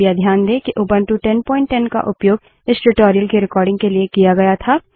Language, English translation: Hindi, Please note that Ubuntu 10.10 was used for recording this tutorial